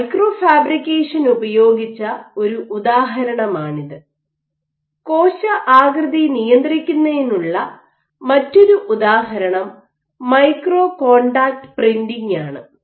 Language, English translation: Malayalam, So, this is one example where microfabrication has been used, the other example of controlling cell shape is using micro contact printing